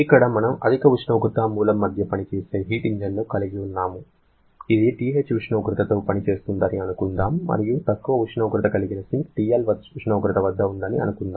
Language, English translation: Telugu, Here, we have a heat engine which is operating between one high temperature source, let us assume this is at a temperature TH and low temperature sink which is operating at a temperature of TL